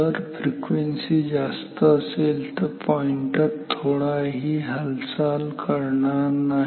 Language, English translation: Marathi, If the frequency is high enough then the pointer will not move at all